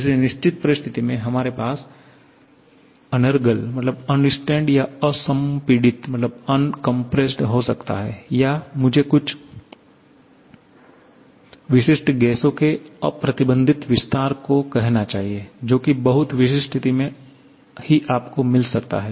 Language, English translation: Hindi, Under certain situation, we may have unrestrained or uncompressed or I should say unrestricted expansion of certain gases, in very specific situation you may get that